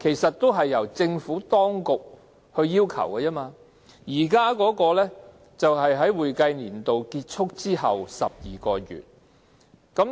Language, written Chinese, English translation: Cantonese, 這視乎政府當局的要求，現行規定是會計年度結束後12個月。, It depends on the requirement imposed by the Administration which is 12 months after the expiration of each accounting year under the existing law